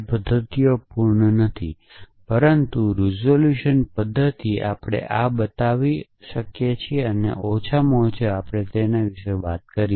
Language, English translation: Gujarati, Those methods are not complete, but resolution method we showed this or at least we talked about it